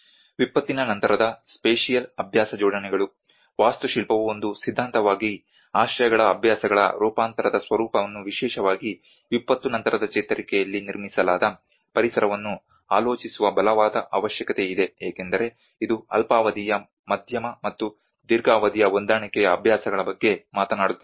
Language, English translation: Kannada, Post disaster spatial practice assemblages; there is a strong need that architecture as a theory has to contemplate on the transformation nature of the shelter practices, the built environment especially in the post disaster recovery because it talks about both as a short term the medium and long term adaptive practices